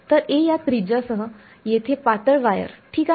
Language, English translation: Marathi, So, thin wire over here with radius to be a, alright